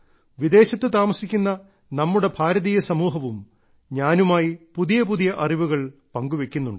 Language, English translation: Malayalam, And there are people from our Indian community living abroad, who keep providing me with much new information